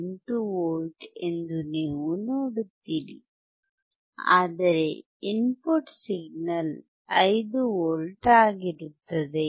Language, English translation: Kannada, 08 V, but where the input signal is 5V